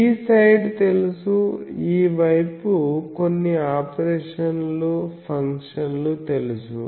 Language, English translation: Telugu, So, this side is known, this side is some operations, this function is known